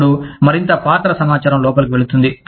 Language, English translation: Telugu, Then, more role information goes in